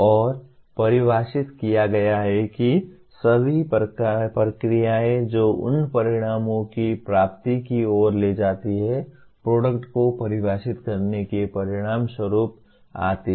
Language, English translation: Hindi, And having defined that, all the processes that lead to the attainment of those outcomes comes as a consequence of defining the products